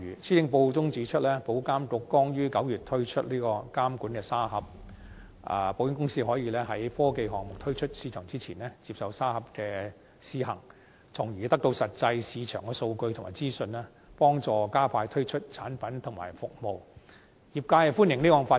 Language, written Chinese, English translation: Cantonese, 施政報告中指出，保監局剛於9月推出監管沙盒，保險公司可以在科技項目推出市場前，接受沙盒的試行，從而得到實際的市場數據及資訊，幫助加快推出產品及服務，業界歡迎這項發展。, According to the Policy Address IA just introduced the Supervisory Sandbox in September . Insurance companies can conduct pilot trials of their technological initiatives before introducing them in the market thus obtaining actual market data and information and facilitating the expeditious launch of products and services . The sector welcomes this development